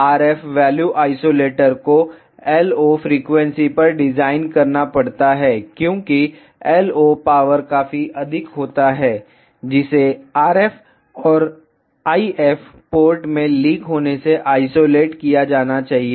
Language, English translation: Hindi, The RF value isolator has to be designed at a LO frequency because LO power is quite high and which should be isolated from leaking into the RF and the if ports